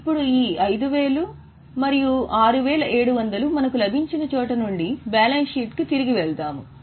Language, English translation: Telugu, Now, from where we got this 5 and 6,700, we will go back to balance sheet